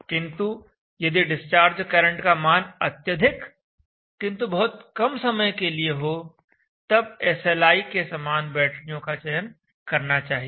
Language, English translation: Hindi, If the discharge currents are very high and short time then go for batteries like SLI batteries